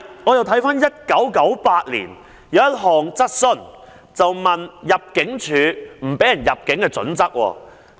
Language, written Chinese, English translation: Cantonese, 我再翻查1998年的一項質詢，當時議員問及入境處拒絕入境的準則。, I have then retrieved a question raised by a Member in 1998 regarding the Immigration Departments criteria for refusing entry